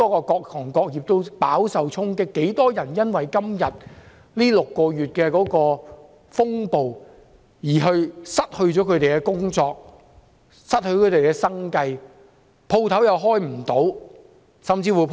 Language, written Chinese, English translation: Cantonese, 各行各業都飽受衝擊，多少人因為這6個月的風暴而失去工作、失去生計，店鋪無法營業，甚至被人破壞？, All industries and sectors have been hit; how many people have lost their jobs and fail to make ends meet? . How many shops have failed to operate or have been damaged?